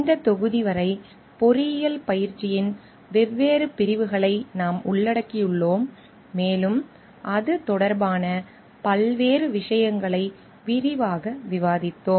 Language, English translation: Tamil, Till this module we have covered different sections of engineering practice and we have discussed different issues related to it at length